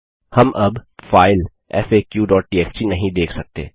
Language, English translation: Hindi, We can no longer see the file faq.txt